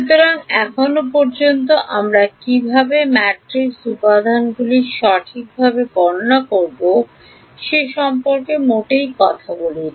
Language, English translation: Bengali, So, far we did not talk at all about how we will calculate matrix elements right